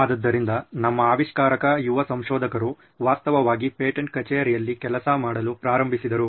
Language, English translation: Kannada, So our inventor actually started working in the patent office